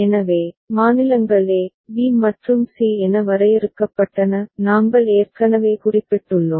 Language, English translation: Tamil, So, states were defined as a, b and c; we have already noted